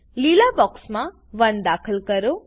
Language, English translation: Gujarati, Enter 1 in the green box